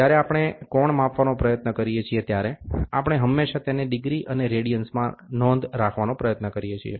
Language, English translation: Gujarati, When we try to go measure the angle, we always try to report it in terms of degrees and radians